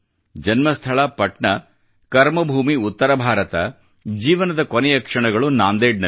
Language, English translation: Kannada, His birthplace was Patna, Karmabhoomi was north India and the last moments were spent in Nanded